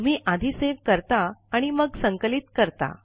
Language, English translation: Marathi, You save first, and then compile it